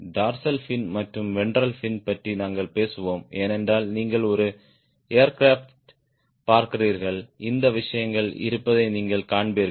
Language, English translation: Tamil, dorsal fin am will talk about ventral fin also, because you see an aircraft, you will find these things are there